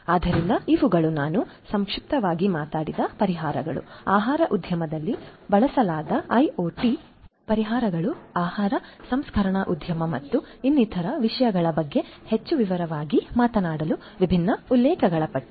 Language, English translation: Kannada, So, these are a list of different references talking in more detail about the solutions that I have talked about briefly, IoT solutions that have been used in the food industry, food processing industry and so on